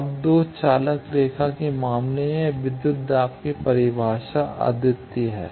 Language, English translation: Hindi, Now, in case of 2 conductor line this voltage definition is unique